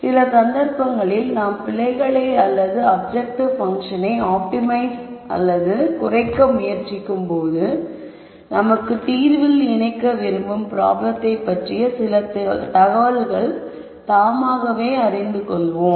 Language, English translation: Tamil, In some cases while we are trying to optimize or minimize our error or the objective function, we might know some information about the problem that we want to incorporate in the solution